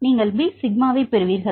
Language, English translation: Tamil, So, you will get the B sigma